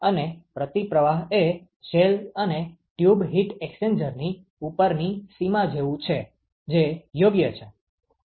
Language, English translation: Gujarati, And counter flow is like the upper limit for shell and tube heat exchanger that is correct